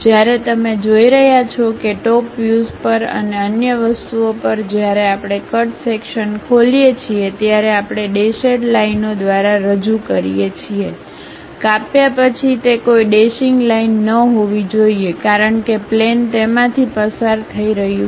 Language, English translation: Gujarati, When you are seeing that though at top view and other things when we did open the cut section, we represent by dashed lines, but after cut it should not be a dashed line because plane is passing through that